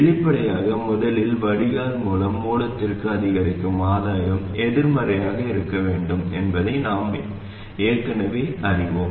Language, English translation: Tamil, Obviously, first of all, we already know that the incremental gain from the drain to the source must be negative